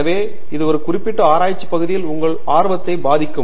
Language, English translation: Tamil, So, that may also influence your interest in a particular research area